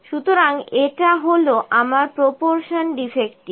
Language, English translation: Bengali, So, this is my proportion defective